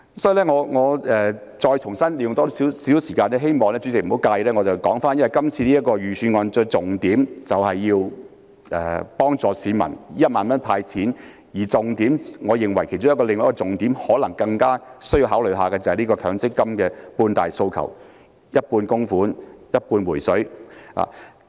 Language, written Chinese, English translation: Cantonese, 所以，我想再花多一些時間，希望主席不要介意，我想說回今次預算案的重點，除了有幫助市民的"派錢 "1 萬元外，我認為另一個更加應該考慮的重點，可能就是強積金的"半大訴求"，即是一半供款、一半"回水"。, Therefore if Chairman does not mind I would like to spend a little more time to pick up on the highlights of this Budget . In addition to the 10,000 handout that helps the public I think that another focus which is more worthy of consideration may be the half demand regarding MPF namely paying half contributions and withdrawing half of the accrued benefits